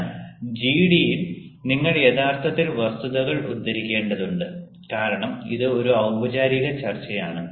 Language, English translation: Malayalam, but in a gd you actually have to cite facts because it is a formal discussion